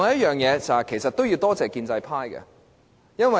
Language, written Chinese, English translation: Cantonese, 我們其實要多謝建制派。, Actually we have to thank the pro - establishment camp